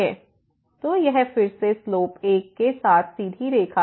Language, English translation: Hindi, So, it is again the straight line with slope 1